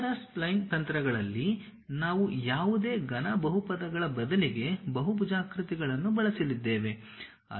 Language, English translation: Kannada, In basis spline techniques, we are going to use polygons instead of any cubic polynomials